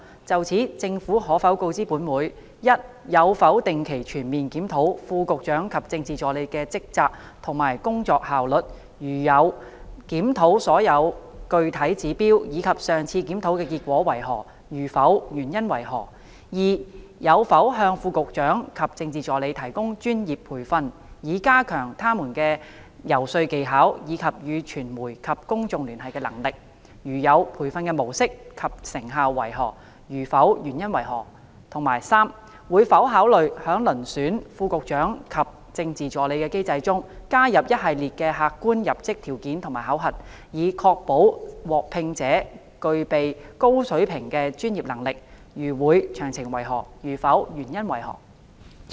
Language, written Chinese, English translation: Cantonese, 就此，政府可否告知本會：一有否定期全面檢討副局長及政治助理的職責及工作效率；如有，檢討所用具體指標，以及上次檢討的結果為何；如否，原因為何；二有否向副局長及政治助理提供專業培訓，以加強他們的游說技巧，以及與傳媒及公眾聯繫的能力；如有，培訓的模式及成效為何；如否，原因為何；及三會否考慮在遴選副局長及政治助理的機制中，加入一系列的客觀入職條件和考核，以確保獲聘者具備高水平的專業能力；如會，詳情為何；如否，原因為何？, In this connection will the Government inform this Council 1 whether it has regularly conducted comprehensive reviews of the duties and work efficiency of the Under Secretaries and Political Assistants; if so of the specific indicators adopted in the reviews and the outcome of the last review; if not the reasons for that; 2 whether it has provided the Under Secretaries and Political Assistants with professional training to enhance their lobbying skills and their capability to liaise with the media and the public; if so of the mode and effectiveness of the training; if not the reasons for that; and 3 whether it will consider adding a range of objective entry qualifications and assessments to the mechanisms for selecting Under Secretaries and Political Assistants so as to ensure that the candidates selected possess a high level of professional capabilities; if so of the details; if not the reasons for that?